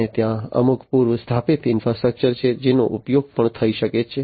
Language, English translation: Gujarati, And there is some pre installed infrastructure that could also be used